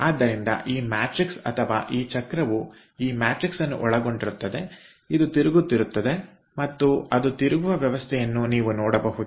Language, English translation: Kannada, so this matrix, or this wheel which contains this matrix, that goes on rotating and you can see the arrangement by which it rotates